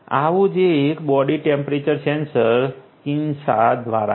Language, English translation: Gujarati, One such body temperature sensor is by Kinsa